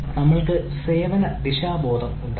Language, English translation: Malayalam, we should ah have service orientation